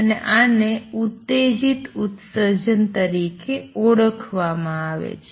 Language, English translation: Gujarati, So, this is the concept of stimulated emission